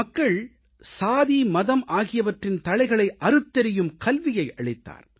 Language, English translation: Tamil, His teachings to people focused on breaking the cordons of caste and religion